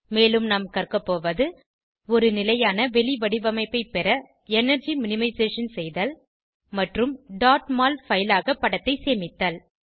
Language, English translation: Tamil, We will also learn * To Minimize energy to get a stable conformation and * Save the image as .mol file